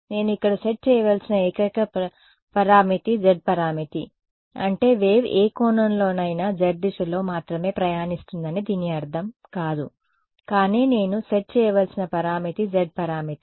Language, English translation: Telugu, The only parameter that I had to set over here was the z parameter this does not mean that the wave is travelling only along the z direction the wave is incident at any angle, but the parameter that I need to set is the z parameter